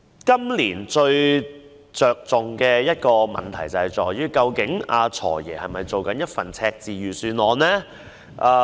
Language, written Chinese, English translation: Cantonese, 今年最重要的一個問題是，究竟"財爺"這份是否赤字預算案呢？, The most important issue for this year is whether the FS has projected a deficit budget